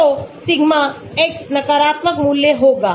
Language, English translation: Hindi, So, sigma X will be negative value